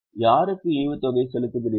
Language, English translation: Tamil, Whom do you pay dividend